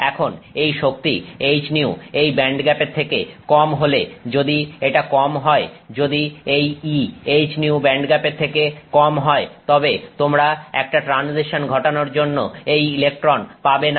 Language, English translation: Bengali, Now if that energy H new is less than this band gap, this if it is less than if E if H new is less than the band gap then you are not able to get this electron to make a transition